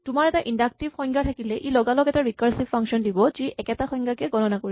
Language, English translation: Assamese, If you have an inductive definition, it immediately gives rise to a recursive function which computes same definitions